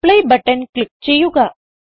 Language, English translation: Malayalam, Now let us click on Apply button